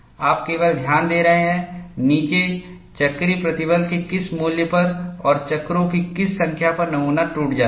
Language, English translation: Hindi, You are only noting down, at what value of cyclical stress and what is the number of cycles, the specimen breaks